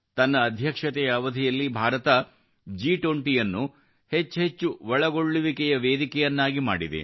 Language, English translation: Kannada, During her presidency, India has made G20 a more inclusive forum